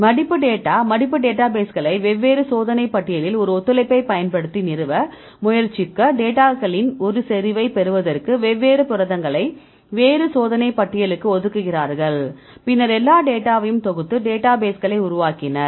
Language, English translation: Tamil, Now, folding data folding database they have tried to establish using a collaboration among different experimental list they assign the different proteins to a different experiment experimental list to get the data same concentrations right and then they compiled all the data and they developed by database